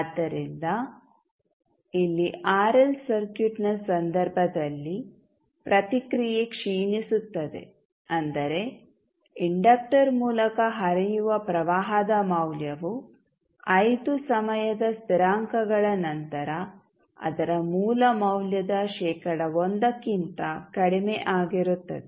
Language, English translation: Kannada, So, here in case of RL circuit the response will decay that means the value of current that is flowing through the inductor, will reach to less than 1 percent of its original value, after 5 time constants